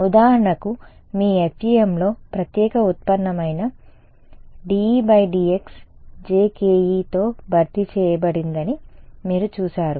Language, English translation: Telugu, Then you saw that for example, in your FEM the special derivative dE by dx was replaced by jkE